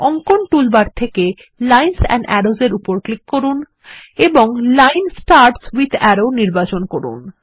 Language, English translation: Bengali, From the Drawing toolbar gtgt click on Lines and Arrows and select Line Starts with Arrow